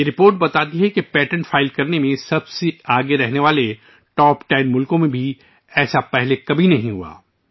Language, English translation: Urdu, This report shows that this has never happened earlier even in the top 10 countries that are at the forefront in filing patents